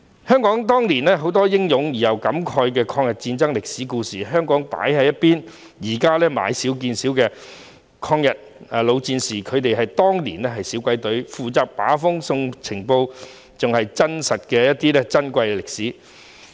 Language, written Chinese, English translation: Cantonese, 香港當年有很多英勇又令人感慨的抗日戰爭歷史故事，被放在一旁，抗日老戰士現時已經買少見少，他們當年是小鬼隊，負責把風送情報，是真實而珍貴的歷史。, Many heroic and touching stories during the War of Resistance in Hong Kong are being put aside . There are fewer and fewer veterans of the War of Resistance alive . They were responsible for keeping watch and sending intelligence